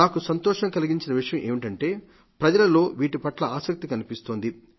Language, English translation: Telugu, And I am happy that people have evinced interest in these things